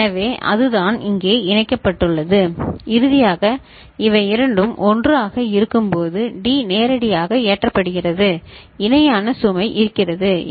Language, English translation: Tamil, So, that is what is connected here and finally, when both of them are 1, D is directly getting loaded, parallel load is there is it fine ok